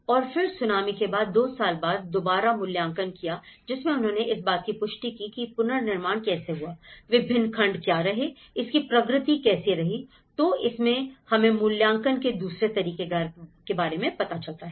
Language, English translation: Hindi, And then following up on the Tsunami after 2 years, how the reconstruction have taken up, what are the various segments, what is the progress of it, so there is a second way of assessment has been done after 2 years